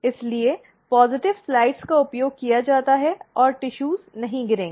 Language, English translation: Hindi, Therefore, the positive slides are used and the tissue does not fall off